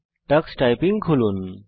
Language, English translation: Bengali, Lets open Tux Typing